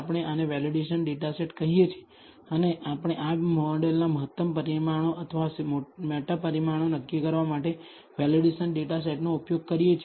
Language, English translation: Gujarati, We call this the validation data set and we use the validation data set in order to decide the optimal number of parameters or meta parameters of this model